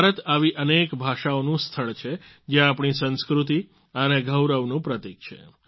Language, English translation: Gujarati, India is a land of many languages, which symbolizes our culture and pride